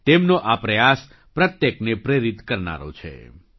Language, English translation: Gujarati, Their efforts are going to inspire everyone